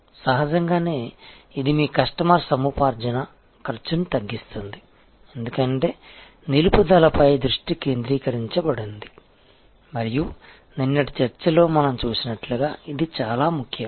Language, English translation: Telugu, Obviously, this will reduce your customer acquisition cost, because the focus is, then on retention and that is very important as we saw in the yesterday's discussion